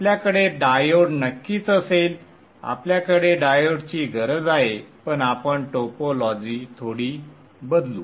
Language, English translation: Marathi, We need the diode, but we will change the topology a little bit